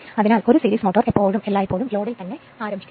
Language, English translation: Malayalam, Therefore, a series motor should always be started on load